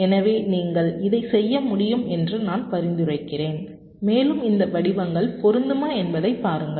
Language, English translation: Tamil, so so i suggest that you can work, work this out and see whether this patterns are matching